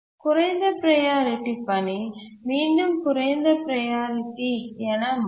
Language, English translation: Tamil, The low priority task again becomes low priority